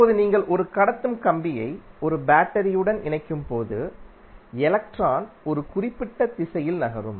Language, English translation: Tamil, Now, when you are connecting a conducting wire to a battery it will cause electron to move in 1 particular direction